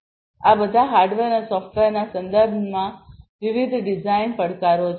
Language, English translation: Gujarati, So, all of these are different design challenges with respect to hardware and software